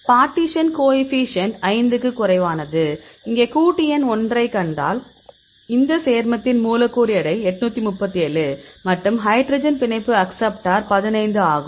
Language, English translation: Tamil, And the partition coefficient this less than 5; so, here if you see compound number 1; this compound, molecular weight is 837 and hydrogen bond acceptor is 15